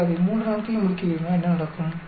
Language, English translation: Tamil, If you want to finish it in 3 days, what happens